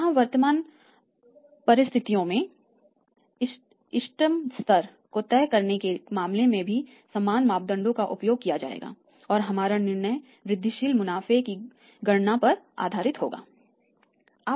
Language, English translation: Hindi, Here also in case of deciding the optimum level of current assets same parameters will be used and will be our decision will be based upon that you calculate the incremental profits